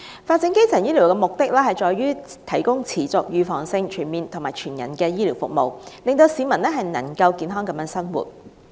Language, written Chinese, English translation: Cantonese, 發展基層醫療的目的在於提供持續、預防性、全面及全人的醫療服務，令市民能夠健康地生活。, The objective of developing primary healthcare services is to provide continuing preventive comprehensive and holistic healthcare services so that people can live healthily